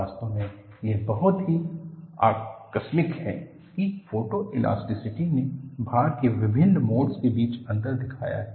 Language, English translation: Hindi, In fact, it is so fortuitous that photo elasticity has shown difference between different modes of loading